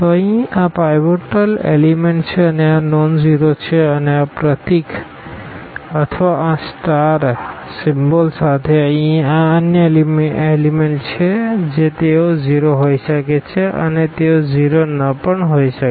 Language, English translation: Gujarati, So, here these are the pivot elements and they are nonzero and with this symbol or this star here these are the other elements they may be 0 and they may not be 0